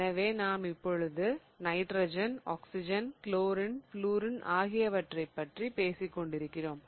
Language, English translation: Tamil, So, we are talking about atoms that are nitrogen and oxygen and chlorine, floreen, etc